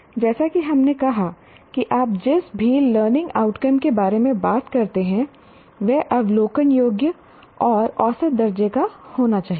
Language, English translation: Hindi, As we said, any outcome, learning outcome that you talk about should be observable and measurable